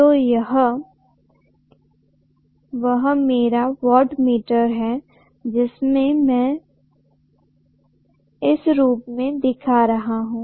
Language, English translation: Hindi, So this is my wattmeter there